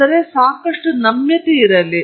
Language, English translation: Kannada, So, there’s a lot of flexibility